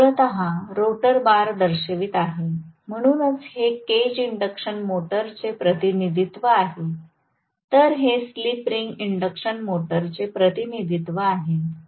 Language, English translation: Marathi, This is essentially showing the rotor bars, so this the representation of cage induction motor, whereas this is the slip ring induction motor representation okay